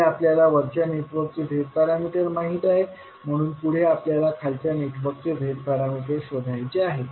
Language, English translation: Marathi, So first the task is that we know the Z parameters of the upper network, next we have to find out the Z parameters of the lower network